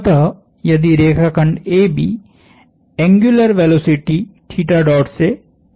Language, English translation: Hindi, So, if the line segment AB rotates with an angular velocity theta dot